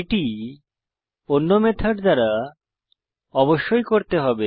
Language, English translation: Bengali, It must be done by other methods